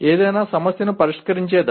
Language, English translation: Telugu, Phasing of solving any problem